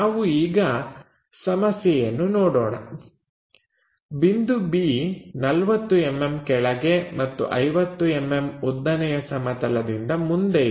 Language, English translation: Kannada, So, let us look at that problem so, b point is 40 mm below and 50 mm in front of vertical plane